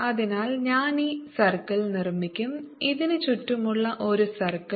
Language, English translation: Malayalam, so i will make this circle is one circle like this